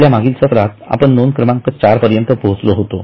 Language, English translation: Marathi, So, in our last session, we had come up to item 4